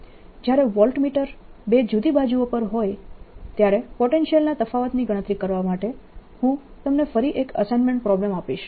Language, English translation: Gujarati, i'll again give you an assignment problem in this to calculate the potential difference when the voltmeter is on the two different sides